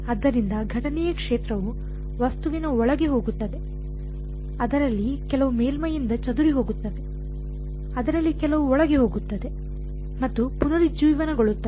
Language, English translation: Kannada, So, the incident field will go inside the object, some of it will gets scattered by the surface, some of it will go inside and will reemerge